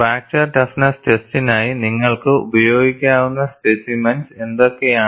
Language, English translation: Malayalam, And what are the specimens that you could use for fracture toughness test